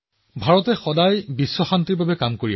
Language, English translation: Assamese, India has always strove for world peace